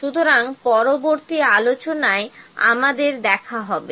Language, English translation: Bengali, So, we will meet in the next lecture